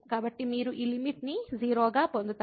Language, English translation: Telugu, So, you will get this limit as 0